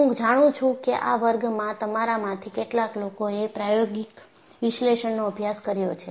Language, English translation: Gujarati, I know in this class, some of you have already done a course on experimental analysis